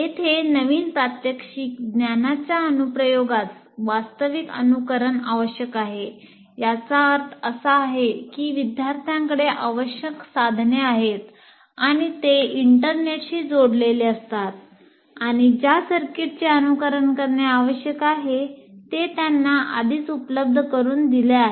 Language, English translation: Marathi, So, here the application of the new demonstrated knowledge will require actual simulation, which means the students have the necessary devices with them and they are connected to the internet and already the circuit that needs to be simulated is already made available to them